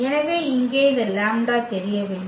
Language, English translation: Tamil, So, here this lambda is unknown